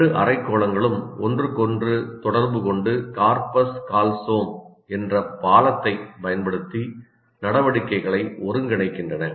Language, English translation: Tamil, The two hemispheres communicate with each other and coordinate activities using a bridge called corpus callosum